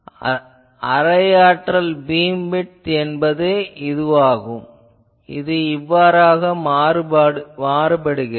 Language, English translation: Tamil, So, here you will see that half power beam width, this is the half power beam width, how it is varying